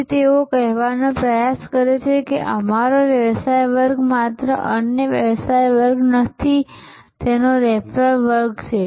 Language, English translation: Gujarati, So, they try to say that our business class is not just another business class its raffles class